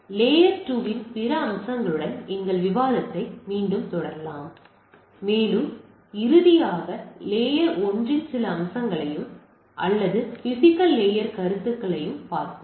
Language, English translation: Tamil, We will continue our discussion with other aspects of layer two, and also will finally we look at some aspects of layer one or the physical layer considerations